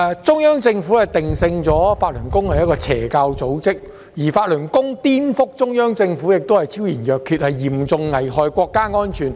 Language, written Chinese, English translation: Cantonese, 中央政府將法輪功定性為邪教組織，而法輪功顛覆中央政府的行為昭然若揭，嚴重危害國家安全。, The Central Government has branded Falun Gong as an evil cult . Falun Gongs subversion of the Central Government which seriously endangers national security is abundantly clear